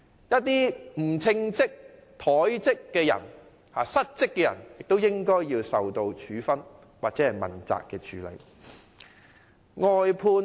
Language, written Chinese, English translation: Cantonese, 一些不稱職、怠職、失職的人，亦應受到處分或被問責。, Anyone who is incompetent or has neglected or failed to perform his duties should be punished or be held accountable